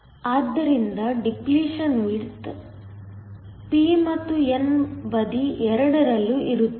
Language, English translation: Kannada, So, here the depletion width will be in both the p and the n side